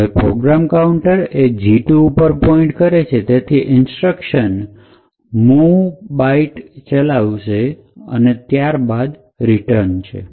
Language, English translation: Gujarati, Now since the program counter is pointing to the address of G2 we have gadget 2 getting executed which is the mov byte instruction followed by the return